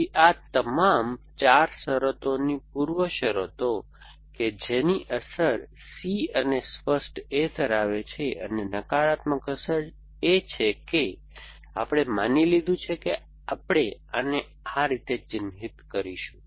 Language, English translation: Gujarati, So, all these 4 conditions of preconditions for that the effect of that is holding C and clear A and the negative effect is that we have assume that we will mark this like this